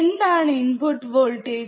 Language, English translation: Malayalam, What are input voltage